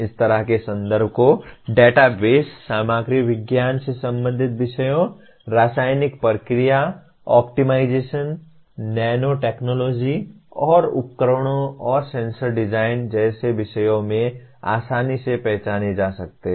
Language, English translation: Hindi, Such context can more readily be identified in subjects like databases, material science related subjects, chemical process optimization, nano technology and devices and sensor design